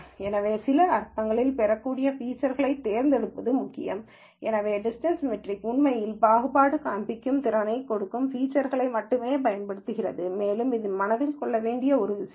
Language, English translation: Tamil, So, it is important to pick features which are which are of relevance in some sense, so the distance metric actually uses only features which will give it the discriminating capacity